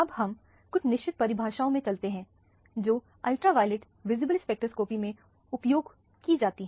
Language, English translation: Hindi, Now, let us go into certain definitions that are used in the ultraviolet visible spectroscopy